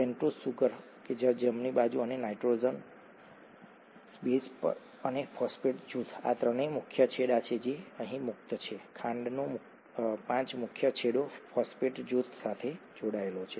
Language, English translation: Gujarati, The pentose sugar, right, and the nitrogenous base and the phosphate group to, this is a three prime end which is free here, the five prime end of the sugar is attached with the phosphate group